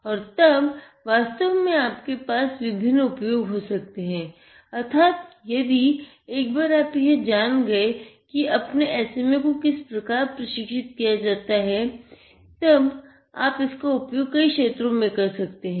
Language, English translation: Hindi, And then you can actually have various applications, once you know how you can train your SMA, you can apply them to multiple fields